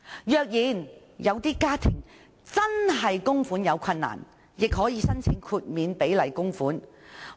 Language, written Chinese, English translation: Cantonese, 若有些家庭供款出現困難，也可以申請豁免比例供款。, If some households encounter difficulty in making contributions they may apply for exemption from making contributions pro rata